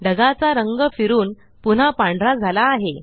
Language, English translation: Marathi, The colour of the cloud reverts to white, again